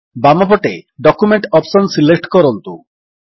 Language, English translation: Odia, On the left side, lets select the Document option